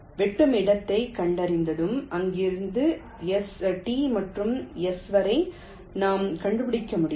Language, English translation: Tamil, so once we find the intersection we can trace back from there up to t and up to s